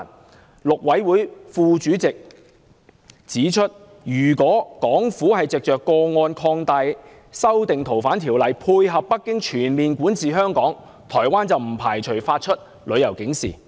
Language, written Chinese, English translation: Cantonese, 台灣陸委會副主席指出，如果港府藉着個案擴大《條例》下的移交範圍，以配合北京全面管治香港，台灣不排除會發出旅遊警示。, The Deputy Chairman of the Mainland Affairs Council of Taiwan has indicated that if the Hong Kong Government intends to use this case as an opportunity to advance Beijings total control over Hong Kong by expanding the scope of extradition under the Ordinance Taiwan would not preclude the issuance of a travel alert